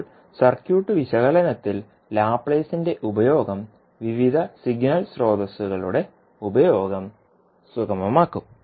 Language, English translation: Malayalam, Now the use of Laplace in circuit analysis will facilitate the use of various signal sources